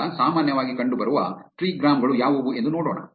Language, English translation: Kannada, Now, let see what are the most commonly appearing trigrams